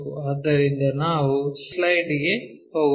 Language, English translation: Kannada, So, let us go on to our slide